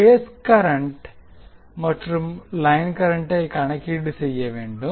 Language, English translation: Tamil, We need to calculate the phase currents and line currents